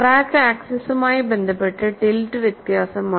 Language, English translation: Malayalam, The tilt is different with respect to the crack axis